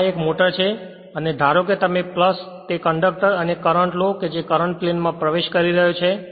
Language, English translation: Gujarati, Now, this is a motor right and this is suppose you take the your plus that conductor right and current is entering into the plane